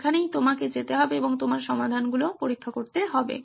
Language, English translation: Bengali, That is where you need to be going and testing your solutions